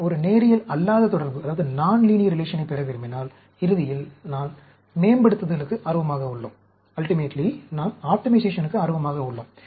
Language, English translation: Tamil, If I want to get a non linear relation, ultimately, we are interested in optimization